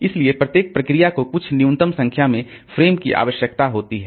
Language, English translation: Hindi, So, each process needs some minimum number of frames